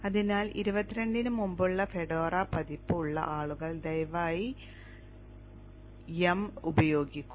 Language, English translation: Malayalam, So people having Fedora version earlier than 22 kindly use YUM